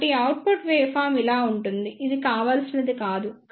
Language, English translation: Telugu, So, the output waveform will be like this which is not desirable